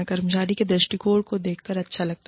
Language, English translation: Hindi, It is nice to see, the employee's perspective